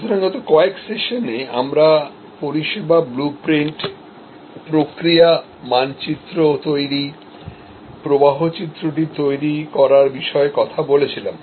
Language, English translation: Bengali, So, in the last few sessions, we have been talking about service blue printing, creating the process map, creating the flow diagram